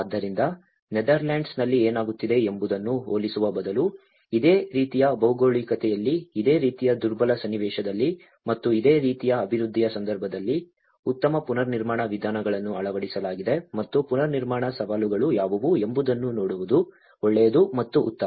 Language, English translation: Kannada, So, instead of comparing with something what is happening in Netherlands, it is good to see in a similar geographies, in the similar vulnerable context and a similar development context how these build back better approaches have been adopted and what are the challenges to build back better